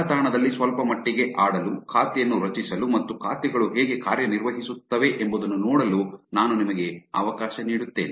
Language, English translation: Kannada, I'll let you to actually play around a little on of the website, create an account and see how the accounts work